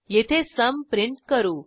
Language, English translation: Marathi, Here we print the result